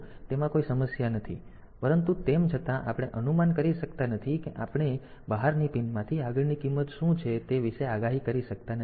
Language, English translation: Gujarati, So, it does not have any issue, but still since it we cannot predict like what is the next value that we are going to get from the outside pin